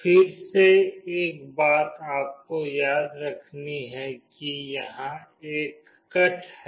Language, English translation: Hindi, Again one thing you have to remember is that there is a cut here